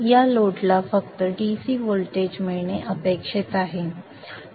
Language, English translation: Marathi, This load is supposed to get only a DC voltage